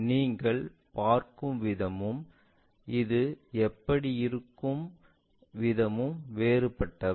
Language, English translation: Tamil, See, the way what you perceive and the way how it looks like these are different